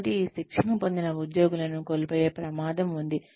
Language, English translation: Telugu, So, we run the risk of losing these trained employees